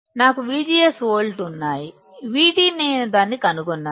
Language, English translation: Telugu, I have V G S 4 volts, V T I do find it out